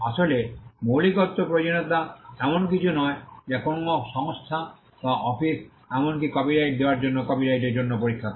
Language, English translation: Bengali, In fact, the originality requirement is not something which a any organisation or office would even test for a copyright for the grant of a copyright